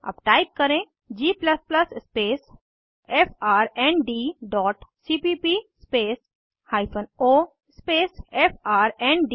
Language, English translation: Hindi, Now type: g++ space frnd dot cpp space hyphen o space frnd.Press Enter